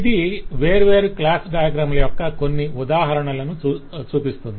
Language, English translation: Telugu, so this is just to show certain instances of different class diagram